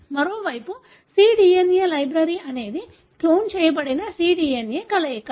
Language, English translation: Telugu, On the other hand, cDNA library is a combination of cloned cDNA